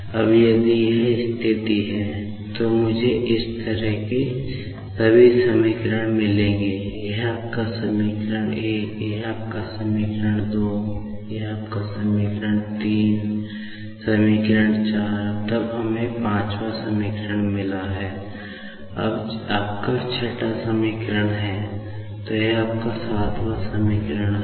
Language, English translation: Hindi, Now, if this is the situation, I will be getting all such equations like these, this is your equation ; this is your equation ; this is equation ; equation ; then we have got 5th equation; this is your 6th equation; and this is your 7th equation